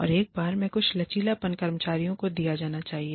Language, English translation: Hindi, And, once in a while, some flexibility can be given to the employees